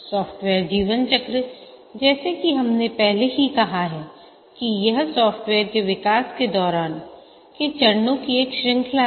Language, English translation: Hindi, The software lifecycle as we had already said is a series of stages during the development of the software